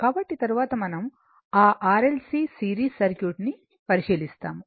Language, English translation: Telugu, So, next we will consider that series R L C circuit